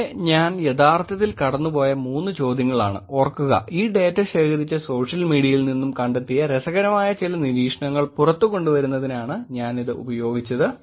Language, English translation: Malayalam, Here, three questions that I will actually go through and again please remember I am using this only to elicit, some interesting observations in the space of online social media with this data that was collected